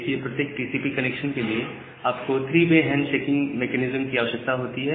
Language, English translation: Hindi, Now, for every TCP connection you require three way handshaking